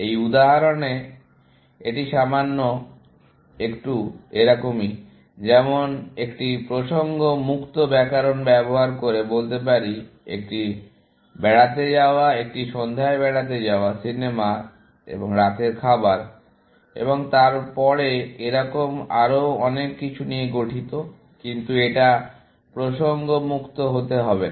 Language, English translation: Bengali, In this example, it is a little bit, like using a context free grammar, to say, that an outing is made up of an evening out, and the movie and dinner, and then, so on and so forth; but it does not have to be context free